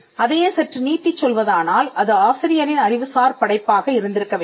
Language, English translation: Tamil, And by extension it should have been the authors intellectual creation